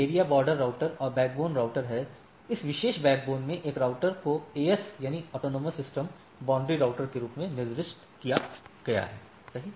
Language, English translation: Hindi, So, area border routers, and there are backbone routers, one router in this particular backbone is designated as AS boundary routers, right